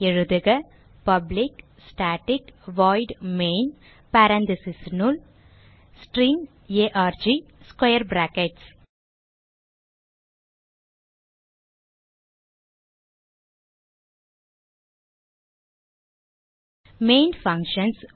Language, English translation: Tamil, So type: public static void main parentheses inside parentheses String arg Square brackets Main functions marks the starting point of the program